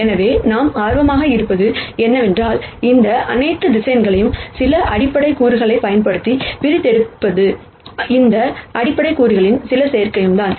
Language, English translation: Tamil, So, what we are interested in is, if we can represent all of these vectors using some basic elements and then some combination of these basic elements, is what we are interested in